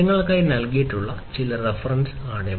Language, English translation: Malayalam, These are some of the references that have been given for you